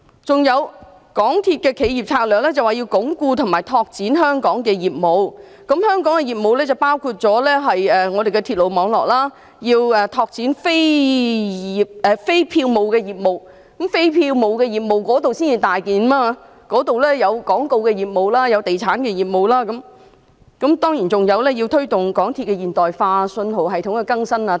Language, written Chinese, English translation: Cantonese, 此外，港鐵公司的企業策略說要鞏固及拓展香港的業務，包括鐵路網絡、拓展非票務的業務，而非票務的業務是一個大範圍，當中包括廣告業務及地產業務，當然，還有推動鐵路現代化及信號系統更新等。, Furthermore as to MTRCLs corporate strategy it says that it aims at strengthening and growing the Hong Kong business . That includes expanding the network and growing non - fare businesses . Non - fare businesses certainly take up a major portion of its businesses including advertisement and property businesses